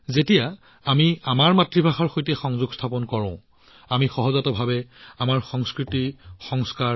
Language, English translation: Assamese, When we connect with our mother tongue, we naturally connect with our culture